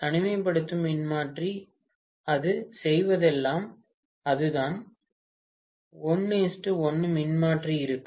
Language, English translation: Tamil, The isolation transformer, all it does is it will be a 1 is to 1 transformer